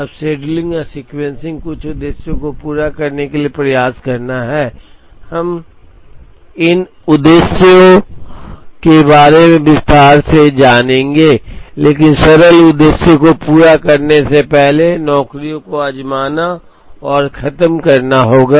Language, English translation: Hindi, Now, the scheduling and sequencing is to try and meet certain objectives, we will get into detail about these objectives, but simple objectives would be like to try and finish the jobs before they have to be delivered